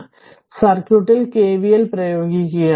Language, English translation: Malayalam, So, apply KVL in the circuit